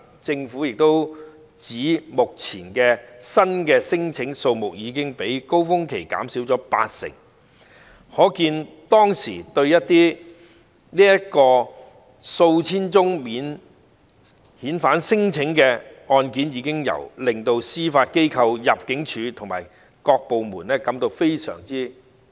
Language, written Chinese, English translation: Cantonese, 政府表示，目前新聲請的數目已較高峰期減少八成，可見以往數千宗免遣返聲請的確令司法機構、入境處及各有關部門吃不消。, The Government indicated that the number of new claims has dropped by 80 % as compared with the peak and it can be seen that thousands of non - refoulement claims in the past did make it very difficult for the Judiciary ImmD and the relevant departments to cope with